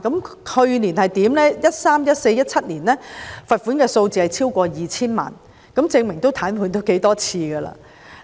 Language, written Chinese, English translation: Cantonese, 過去在2013年、2014年及2017年，罰款數字超過 2,000 萬元，證明也癱瘓了不少次。, In the past namely in 2013 2014 and 2017 the fines exceeded 20 million in total proving that such paralysis had occurred many times